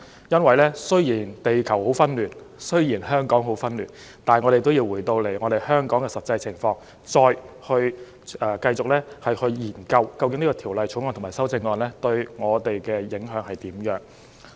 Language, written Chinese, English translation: Cantonese, 因為雖然地球很紛亂、香港很紛亂，但我們也要回到香港的實際情況，繼續研究《條例草案》和修正案對我們的影響為何。, It is because although our Earth is chaotic and Hong Kong is in disarray we still have to come back to the practical situation of Hong Kong in order to continue studying the implications of the Bill and the amendments for us